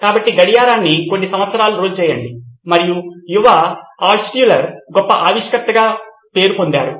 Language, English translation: Telugu, So about roll the clock few years and young Altshuller was known to be a great inventor